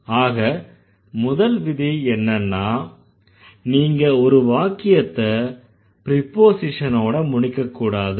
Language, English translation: Tamil, First, you never end a sentence with a preposition